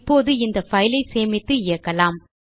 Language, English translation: Tamil, Now, let us save and run this file